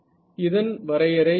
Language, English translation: Tamil, So, what is the